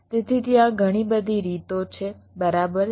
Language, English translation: Gujarati, so there are so many ways, right